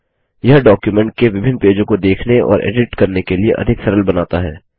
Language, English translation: Hindi, It makes the viewing and editing of multiple pages of a document much easier